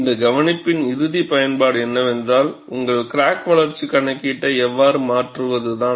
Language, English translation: Tamil, The ultimate usage of this observation is, how do you modify your crack growth calculation